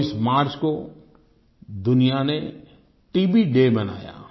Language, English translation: Hindi, On March 24th, the world observed Tuberculosis Day